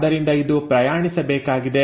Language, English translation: Kannada, So, it has to travel